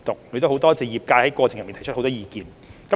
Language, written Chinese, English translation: Cantonese, 我亦感謝業界在過程中提出很多意見。, I am also grateful to the industry for putting forward many views during the process